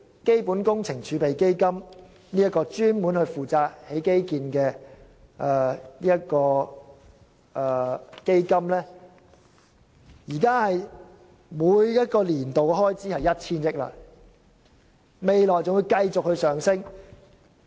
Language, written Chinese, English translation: Cantonese, 基本工程儲備基金——專門用來興建基建的基金——現時每個年度的開支為 1,000 億元，未來的開支仍會繼續上升。, The annual expenditure of the Capital Works Reserve Fund―a fund designated to finance infrastructure projects―stands at 100 billion for the moment but is expected to increase in future